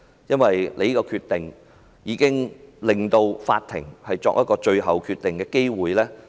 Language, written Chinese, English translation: Cantonese, 因為她這個決定令法庭失去作最後判決的機會。, Because of her decision the court has no chance to make the final judgment